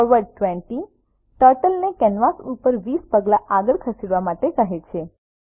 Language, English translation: Gujarati, forward 20 commands Turtle to move 20 steps forward on the canvas